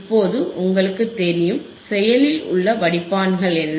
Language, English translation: Tamil, Now you know, what are active filters